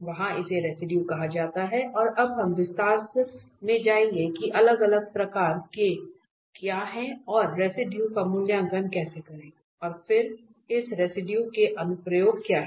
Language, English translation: Hindi, There it is called residue and now we will go more into the detail that what are different kind of and how to evaluate residues and then what are the applications of this residue